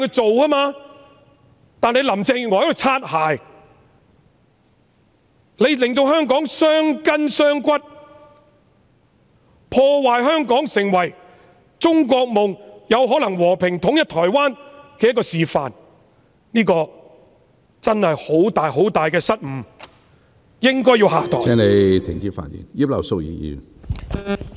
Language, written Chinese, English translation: Cantonese, 可是，因為林鄭月娥"擦鞋"，令香港傷筋傷骨，破壞香港成為中國夢——有可能成為和平統一台灣的示範的機會，這真是很大的失誤，她應該要下台......, Nevertheless as Carrie LAM is a bootlicker she has caused grievous harm to Hong Kong and disrupted the chance for Hong Kong to fulfil the China dream―to demonstrate that peaceful reunification with Taiwan is possible . That is really a very serious mistake and she should step down